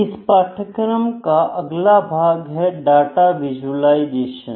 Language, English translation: Hindi, Next part of this course is Data Visualisation